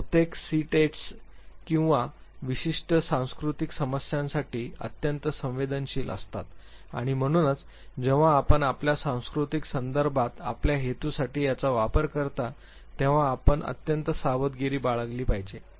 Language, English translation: Marathi, Most of these tests are very very sensitive to certain cultural issues and therefore when you use it for your purpose in your cultural contexts you have to be extremely careful